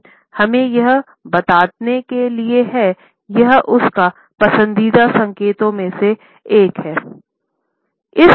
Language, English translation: Hindi, Sign is letting us know, this is one of his favorite signs